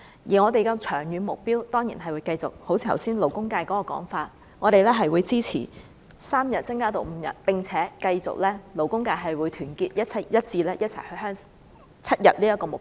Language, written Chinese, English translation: Cantonese, 而我們的長遠目標，正如剛才勞工界的說法，當然是支持由3天增至5天，並且勞工界會繼續團結一致，一起爭取7天這個目標。, And to achieve our long - term goal we will certainly support the extension from three days to five days now just as the labour sector opined and continue to strive together with the sector towards the goal of seven days paternity leave